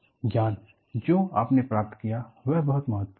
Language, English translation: Hindi, The knowledge, what you gained is very important